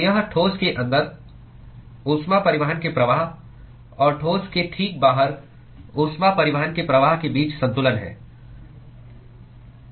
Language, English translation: Hindi, So, this is a balance between flux of the heat transport just inside the solid and flux of heat transport just outside the solid